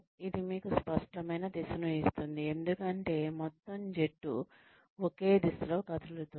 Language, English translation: Telugu, It gives you a clear sense of direction, because the whole team is moving, in the same direction